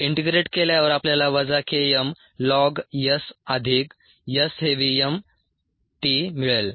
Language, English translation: Marathi, if we solve this differential equation, minus k m plus s by s d s equals v m d t